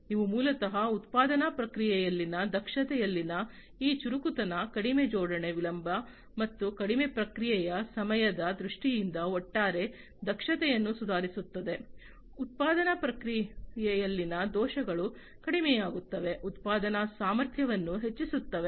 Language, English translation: Kannada, So, these basically this smartness in the efficiency in the manufacturing process, improves the overall efficiency in terms of lower assembly delay and lowered response time, reduced errors in the manufacturing process, enhanced production capability, and so on